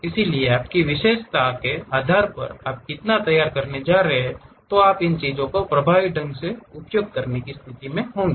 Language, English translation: Hindi, So, based on your expertise how much you are going to prepare you will be in a position to effectively use these things